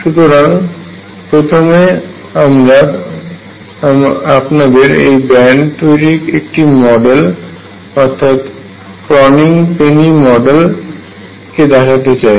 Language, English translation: Bengali, So, first now let me show you the formation of this band through a model called the Kronig Penney Model